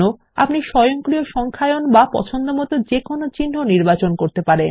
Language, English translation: Bengali, You can choose between automatic numbering or a custom symbol